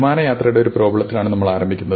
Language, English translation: Malayalam, So, we start with a problem of air travel